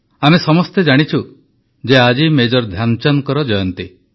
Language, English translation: Odia, All of us know that today is the birth anniversary of Major Dhyanchand ji